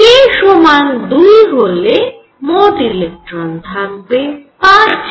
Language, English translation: Bengali, And for k equals 2 there should be 5 electrons